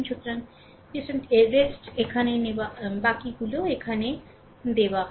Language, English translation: Bengali, So, rest it is given there